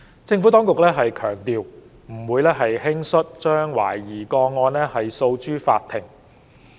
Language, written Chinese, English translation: Cantonese, 政府當局強調，不會輕率將懷疑個案訴諸法庭。, The Administration has stressed that it would not take a case to the Court lightly